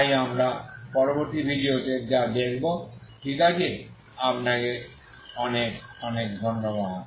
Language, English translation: Bengali, So this is what we will see in the next video, okay thank you very much